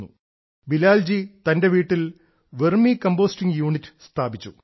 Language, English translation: Malayalam, Bilal ji has installed a unit of Vermi composting at his home